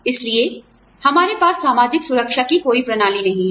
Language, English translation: Hindi, So, we do not have a system of social security